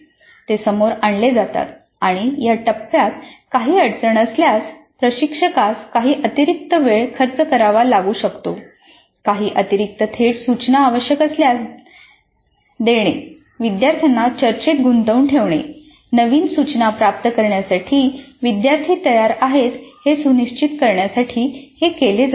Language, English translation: Marathi, They are brought to the surface and in case there is some difficulty with this phase instructor may have to spend some additional time engaging the students in some discussion if required certain additional direct instruction to ensure that the students are prepared to receive the new instruction